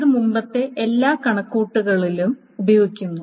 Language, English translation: Malayalam, So it uses all the previous computations